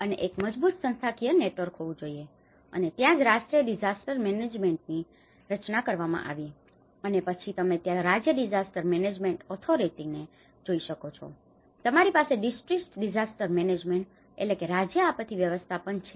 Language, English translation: Gujarati, And there should be a strong institutional network, and that is where the National Institute of Disaster Management has been formulated and then you can see the State Disaster Management Authority, you have the District Disaster Management